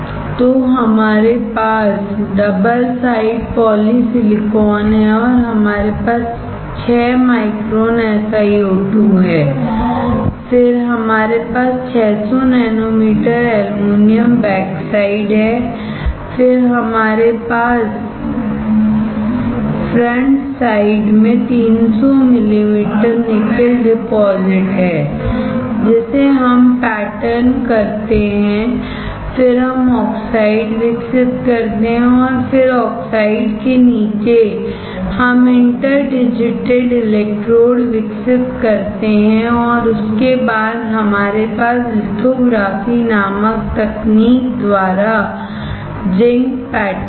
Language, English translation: Hindi, So, we have double side polysilicon, and we have 6 micron SiO2, then we have 600 nanometer aluminum backside, then we have frontside 300 mm nickel deposition we pattern it, then we grow the oxide and then under the oxide we grow the interdigitated electrodes and then on that we have the zinc pattern by a technique called lithography